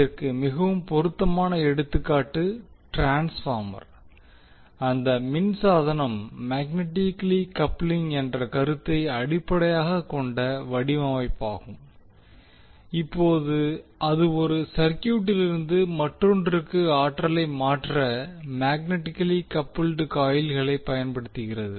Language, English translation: Tamil, So the most common example for this is the transformer where the electrical device is design on the basis of the concept of magnetic coupling now it uses magnetically coupled coils to transfer the energy from one circuit to the other